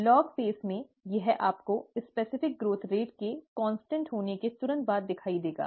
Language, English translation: Hindi, In the log phase, this you you will see immediately after the specific growth rate happens to be a constant